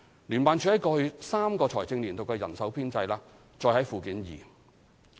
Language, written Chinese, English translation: Cantonese, 聯辦處在過去3個財政年度的人手編制載於附件二。, The staff establishment of JO in the past three financial years is set out at Annex 2